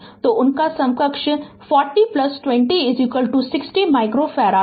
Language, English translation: Hindi, So, their equivalent is 40 plus 20 right is equal to 60 micro farad